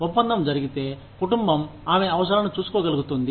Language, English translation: Telugu, If the deal is done, the family is able, to look after, her needs